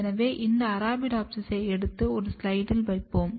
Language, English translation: Tamil, So, we will take this Arabidopsis and place it on a slide